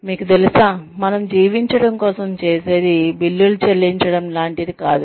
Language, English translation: Telugu, You know, what we do for a living is, what pays the bills